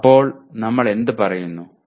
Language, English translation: Malayalam, So what do we say